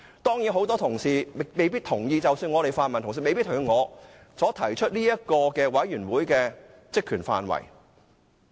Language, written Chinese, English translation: Cantonese, 當然很多同事未必同意，即使泛民同事也未必同意我所提出的專責委員會的職權範圍。, Certainly many Members may not agree with me even my pan - democratic colleagues may not agree with my proposed terms of reference of the select committee